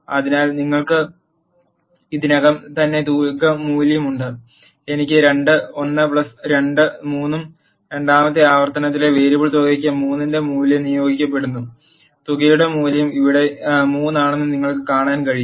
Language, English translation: Malayalam, So, you have already sum value as one and i is 2, 1 plus 2 is 3 and the value of 3 is assigned to the variable sum in the second iteration, you can see that value of the sum is 3 here and so on